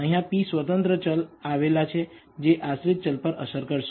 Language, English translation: Gujarati, There are p independent variables which we believe affect the dependent variable